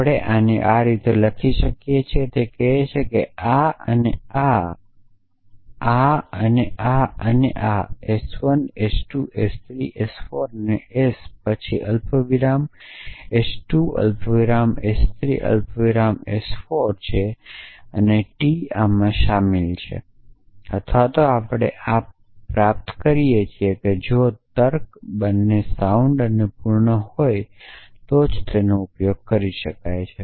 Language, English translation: Gujarati, So, we write this s as this it says that this and this and this and this let say this is s 1 s 2 s 3 s 4 then s 1 comma s 2 comma s 3 comma s 4 and t entails this or derives this we can only use the truth term terms interchangeably entailment and derivation if the logic is both sound and completes